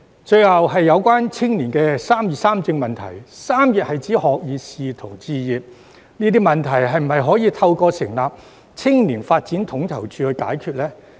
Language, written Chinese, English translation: Cantonese, 最後是有關青年人"三業三政"問題，"三業"是指學業、事業及置業，這些問題是否可以透過成立青年發展統籌處解決呢？, The last proposal is about the issue of young peoples concerns about education career pursuit and home ownership and encouraging their participation in politics as well as public policy discussion and debate . Could these issues be solved through the establishment of a Youth Development Coordination Unit?